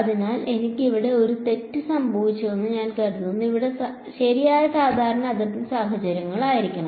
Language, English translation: Malayalam, So, I think I made a mistake over here it should be plus right normal boundary conditions over here